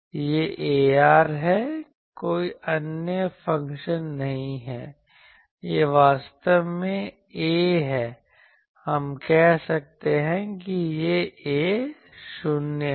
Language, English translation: Hindi, This is 0, this is a r there is not any other function this is actually a, we I can say this is a 0